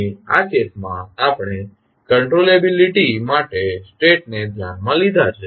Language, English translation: Gujarati, Here in this case, we considered states for the controllability